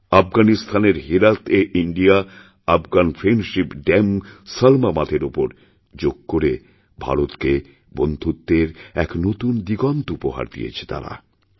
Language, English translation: Bengali, In Herat, in Afghanistan, on the India Afghan Friendship Dam, Salma Dam, Yoga added a new aspect to India's friendship